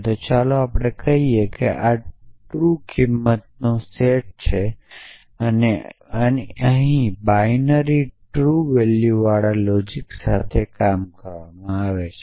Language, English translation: Gujarati, So, let us call this is the set of truth values and here working with the binary true valued logics